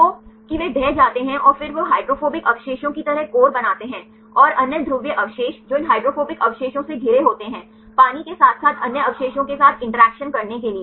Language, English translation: Hindi, So, that they collapse and then they form the core like hydrophobic residues, and the other polar residues which are at the surrounded by these hydrophobic residues, to make the interactions with the water as well as with the other residues